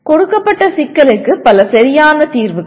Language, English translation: Tamil, Multiple correct solutions to a given problem